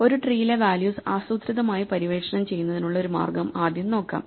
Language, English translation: Malayalam, Let us first look at a way to systematically explore the values in a tree